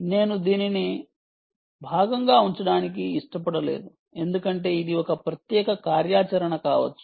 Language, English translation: Telugu, i didnt want to put it as part of this because this can be a separate activity